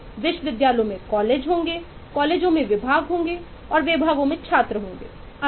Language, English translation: Hindi, universities will have colleges, colleges have departments, departments have students and so on